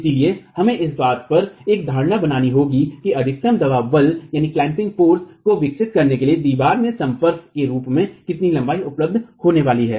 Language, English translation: Hindi, So, we will have to make an assumption on at what stage how much of length is going to be available as a contact for the wall to develop the maximum clamping force available